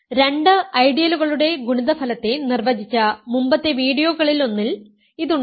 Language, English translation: Malayalam, So, this is in one of the earlier videos I defined the product of two ideals